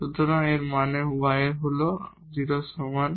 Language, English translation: Bengali, So, it means y is equal to 0